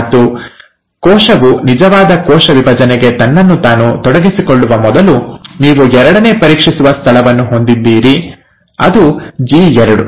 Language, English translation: Kannada, And, before the cell commits itself to the actual cell division, you have the second check point, which is the G2 check point